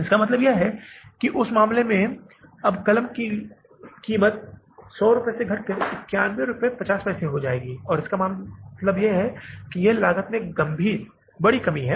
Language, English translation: Hindi, It means in that case now the cost of the pen will come down from the 100 rupees to $91 and 50 pesos